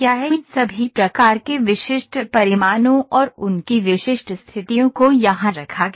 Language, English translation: Hindi, All these load types of specific magnitudes and their specific conditions are put in here